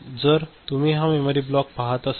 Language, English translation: Marathi, So, if you are looking at this memory block so, this is the memory block right